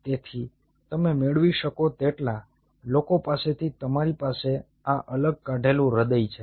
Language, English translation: Gujarati, ok, so you have these isolated heart from as many you can get